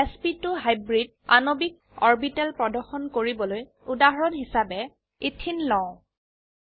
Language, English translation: Assamese, To display sp2 hybridized molecular orbitals, we will take ethene as an example